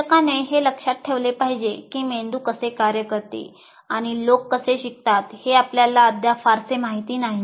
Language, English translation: Marathi, And you should also remember, the teacher should remember, we still do not know very much how brain functions and how people learn